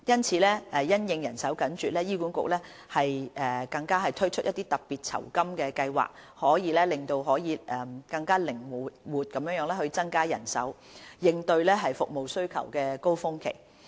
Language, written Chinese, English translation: Cantonese, 此外，因應人手緊絀，醫管局更推出特別酬金計劃，以更靈活地增加人手，應對服務需求高峰期。, In addition to address manpower shortage HA has also launched the Special Honorarium Scheme to allow greater flexibility in increasing manpower for coping with service demand surges